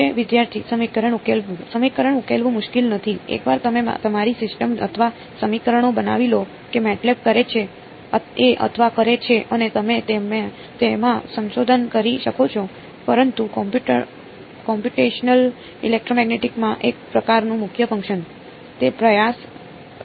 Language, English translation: Gujarati, This no solving the equation is not difficult; once you form your system or equations MATLAB does a slash b or done and you can do research in that, but as sort of core work in computational electromagnetic, where is that effort going to come in